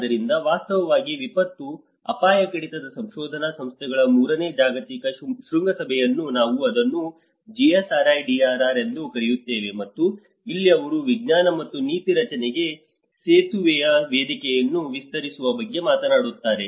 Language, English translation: Kannada, So, in fact the Third Global Summit of research institutes of disaster risk reduction where we call it GSRIDRR and this is where they talk about the expanding the platform for bridging science and policy make